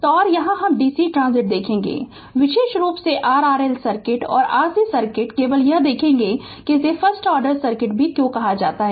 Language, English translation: Hindi, So, and here we will see the dc transient particularly the your ah R L circuit and R C circuit ah only the we will see that why it is called first order circuit also